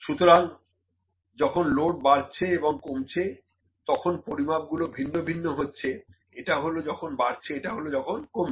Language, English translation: Bengali, So, the load increasing and decreasing these values are different, this is for decreasing and this is for increasing